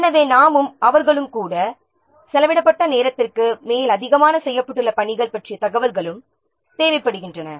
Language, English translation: Tamil, So we also, they also, so it also requires information about the work that is being done in addition to the time that has been spent